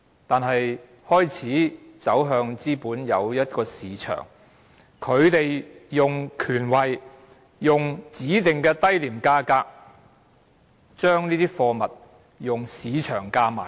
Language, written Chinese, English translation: Cantonese, 中國開始走向資本主義便有一個市場，官員利用權位以指定的低廉價格買入貨物，再用市場價售出。, When China began to move toward capitalism a market was formed . Public officials used their power and status to buy goods at specified low prices and sold them in the market